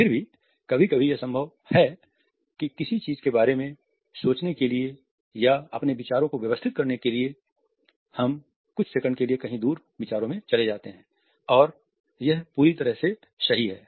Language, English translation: Hindi, Sometimes it may be possible that in order to think about something or in order to organize our ideas we look away as in exhibition of an invert thought for a couple of seconds and this is perfectly all right